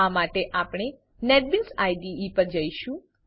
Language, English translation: Gujarati, For this we will switch to Netbeans IDE